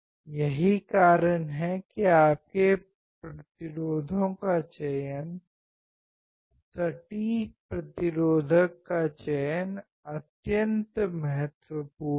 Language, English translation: Hindi, That is why the selection of your resistors, accurate resistors is extremely important right